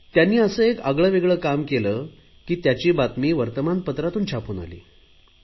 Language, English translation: Marathi, He did something so different that the newspapers printed his story